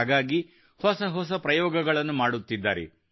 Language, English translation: Kannada, And they are trying out ever new experiments